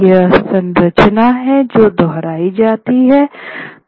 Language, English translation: Hindi, And this is something that is repeated